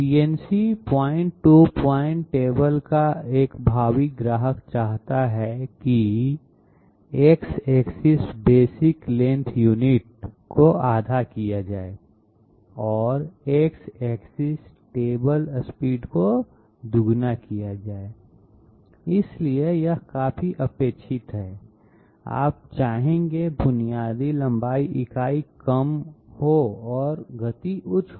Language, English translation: Hindi, A prospective customer of a CNC point to point table wants X axis basic length unit to be halved and X axis table speed to be doubled, so this is quite expected you would like basic length unit to be less and speed to the higher